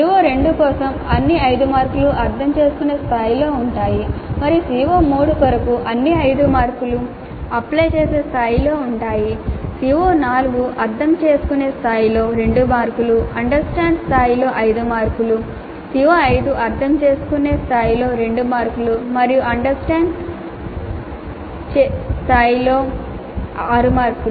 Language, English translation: Telugu, For CO2 all the 5 marks are at understand level and for CO3 all the 5 marks are at apply level and for CO4 2 marks are at understand level and 5 marks are at apply level and for CO5 2 marks at understand level and 6 marks at apply level